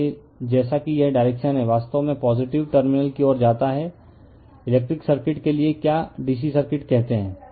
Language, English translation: Hindi, So, as it is direction current actually leads the positive terminal for your your what you call for electric circuit say DC circuit right